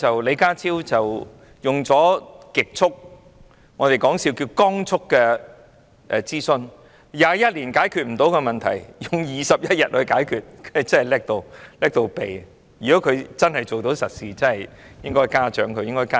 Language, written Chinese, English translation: Cantonese, 李家超極速——我們說笑是"光速"——進行諮詢，過去21年無法解決的問題，他只花了21天便解決了，他真的能幹得無與倫比。, John LEE speedily or at the speed of light as we said mockingly conducted a consultation . An insolvable problem in the past 21 years is solved by him in 21 days . How incomparably capable he is!